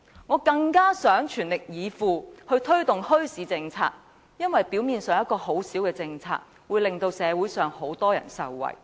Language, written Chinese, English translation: Cantonese, 我更想全力以赴推動墟市政策，因為表面上一項很小的政策，卻可以令社會上很多人受惠。, I also wish to do my very best to promote the policy on bazaars because a seemingly small policy may benefit many in society